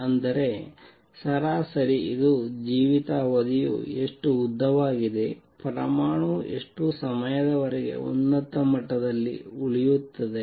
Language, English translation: Kannada, That means, on an average this is how long the lifetime is, this is how long the atom is going to remain in the upper level